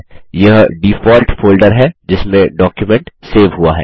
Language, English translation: Hindi, This is the default folder in which the document is saved